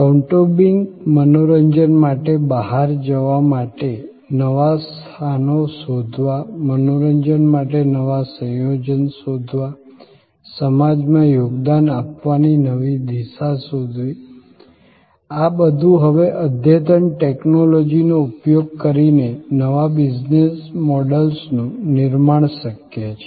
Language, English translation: Gujarati, To find new places to go out to for a family entertainment, to find new composites for entertainment, finding new ways to contribute to society, all that are now possible due to creation of new business models using advances in technology